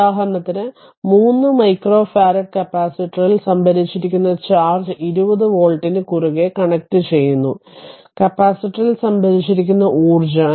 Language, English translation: Malayalam, For example, that calculate the charge stored on a 3 micro farad capacitor with a 20 with 20 volt across it also find the energy stored in the capacitor very simple thing